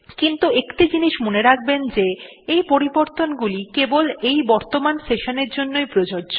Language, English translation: Bengali, But, remember one thing that these modifications are only applicable for the current session